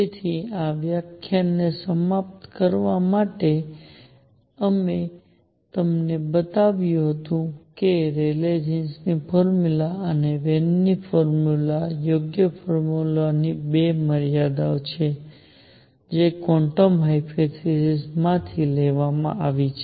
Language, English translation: Gujarati, So, to conclude this lecture what we have shown you is that the Rayleigh Jean’s formula and the Wien’s formula are 2 limits of the correct formula which is derived from quantum hypothesis